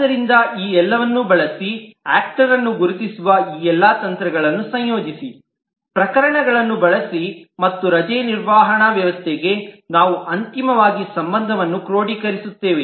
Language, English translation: Kannada, So, using all this, combining all these techniques of identifying actors, use cases and relationship, we finally consolidate for the leave management system